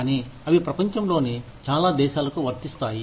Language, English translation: Telugu, But, they are applicable to, most countries, across the world